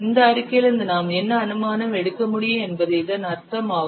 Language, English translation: Tamil, What is it's what inference we can draw from this statement